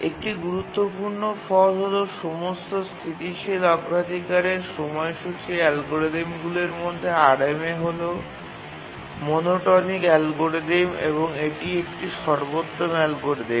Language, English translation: Bengali, One important result is that among all static priority scheduling algorithms, RMA, the rate monotonic algorithm is the optimal algorithm